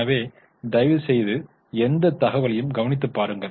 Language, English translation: Tamil, So, please go through that information also